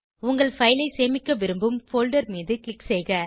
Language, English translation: Tamil, Click on the folder where you want to save your file